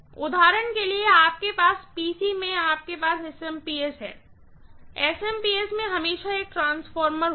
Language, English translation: Hindi, For example, in your PC you have that SMPS, that SMPS will always have a transformer inside